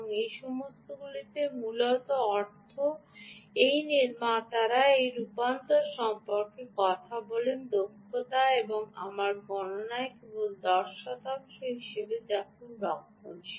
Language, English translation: Bengali, all of this essentially means these manufacturers talk about this conversion efficiency and i have in my calculations i have only taken ten percent, which is very conservative